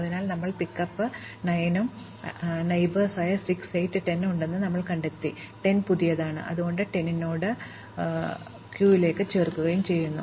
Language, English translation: Malayalam, Finally, we pickup 9 and when we pickup 9, we find that it has neighbors 6, 8 and 10, 10 is new, so 10 gets marked and added to the queue